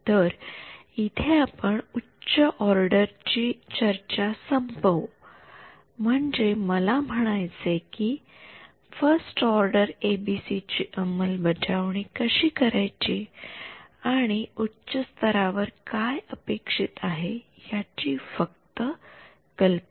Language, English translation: Marathi, So, that concludes our discussions of higher order I mean how to implement 1st order ABCs and just high level idea of what to expect in a higher order